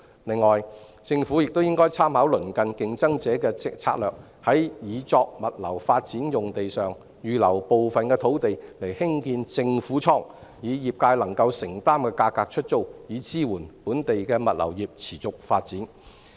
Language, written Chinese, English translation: Cantonese, 另外，政府應參考鄰近競爭者的策略，在擬作物流發展用地上預留部分土地興建政府倉，以業界能夠承擔的價格出租，以支援本地的物流業持續發展。, Moreover the Government should draw reference from the strategies employed by neighbouring competitors to reserve some land on the sites intended for logistics development for construction of government storage which will be let at affordable rates to the trade so as to support the sustainable development of the local logistics industry